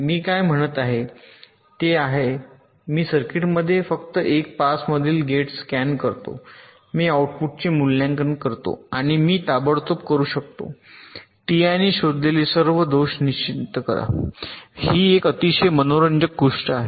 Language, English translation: Marathi, what i am saying is that i scan the gates in the circuit just one pass, i evaluate the output and i can immediately determine all faults detected by t